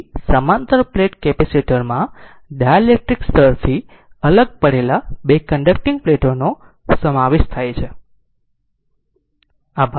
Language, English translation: Gujarati, So, parallel plate capacitor consists of two conducting plates separated by dielectric layer right